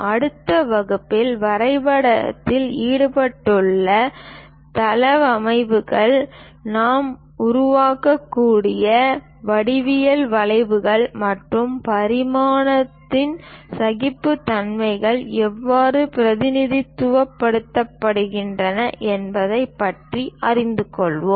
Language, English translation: Tamil, In the next class, we will learn about layouts involved for drawing, what are the geometrical curves we can construct, how to represent dimensioning and tolerances